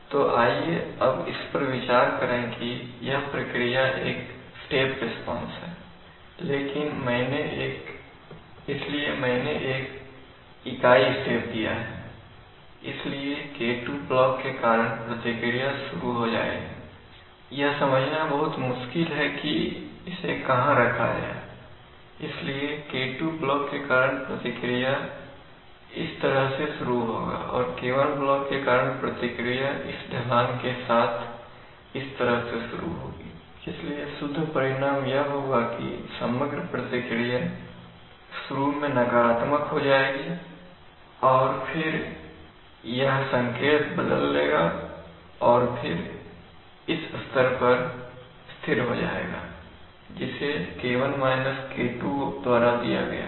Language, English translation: Hindi, What is going to happen, so imagine that let us consider this is the step response of that process, so I have given a unit step, so the response due to the K2 block will start, it is very difficult to understand, where to put it, so the response due to K2 block will start along this way and the response due to the K1 block we will start along this way with this slope, so the net result will be that the overall response will initially start going negative and then it will change sign and then it will settle at a level which is given by K1 K2 because those are the initial, because the response due to the K2 block will actually level, this will be the response, while the response due to the K1 block is going to be like this